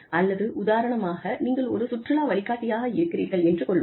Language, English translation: Tamil, Or, if you are a tourist guide, for example